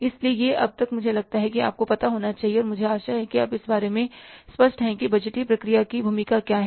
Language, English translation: Hindi, So this is till now, you must be, I think, I hope that you are clear about that what is the role of the budgetary process